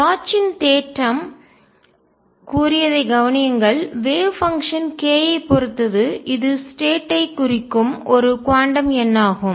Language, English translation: Tamil, Notice that Bloch’s theorem said that wave function depends on k which is a quantum number that specifies the state